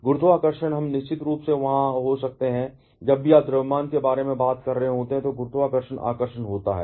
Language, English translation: Hindi, Gravity we can definitely be there, whenever you are talking about mass, gravitational attraction is there